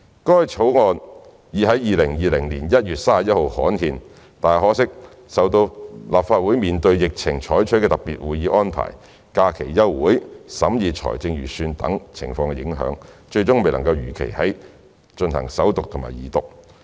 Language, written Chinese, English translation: Cantonese, 該法案已在2020年1月31日刊憲，但受到立法會面對疫情採取的特別會議安排、假期休會、審議財政預算等情況影響，最終未能如期進行首讀及二讀。, The Sex Discrimination Amendment Bill 2020 though gazetted on 31 January 2020 could not be read for the First and Second time as scheduled because of the Legislative Councils special meeting arrangements amid the epidemic the holiday breaks of the Council the arrangement for Budget debate and so on